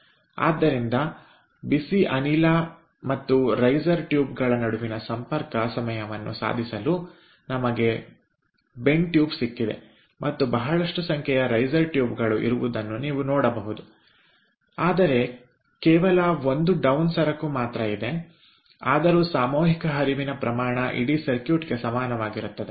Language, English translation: Kannada, so to make the contact time between the hot gas and the riser tubes, we have got bend tube and you can see that there are number of riser tubes but there is only one down commodity, though the mass flow rate is same ah for the entire circuit